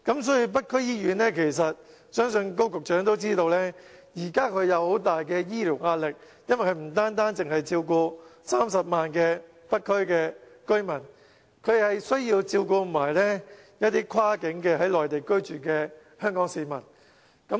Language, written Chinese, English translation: Cantonese, 所以，相信高局長都知道，北區醫院有很大的醫療壓力，因為它不單照顧30萬北區居民，還要照顧一些跨境在內地居住的香港市民。, Therefore Secretary Dr KO may know that North District Hospital is bearing a great burden in its provision of health care service as it is not only dealing with 300 000 residents in the North District but also Hong Kong people living across the boundary in the Mainland